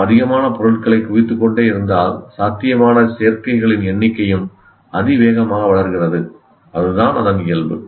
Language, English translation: Tamil, And if you keep accumulating more items, the number of possible combinations also grows exponentially